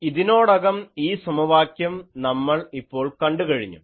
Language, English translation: Malayalam, This equation we have solved, twice